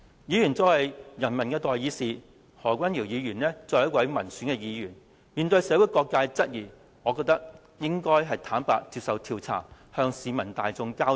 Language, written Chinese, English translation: Cantonese, 議員作為人民的代議士，何君堯議員作為民選議員，面對社會各界質疑，我認為他應該坦然接受調查，向市民大眾交代。, In my opinion as a legislator elected by voters Dr HO ought to subject himself to investigations without concealing the truth when being queried by all quarters of society and give an account to the public accordingly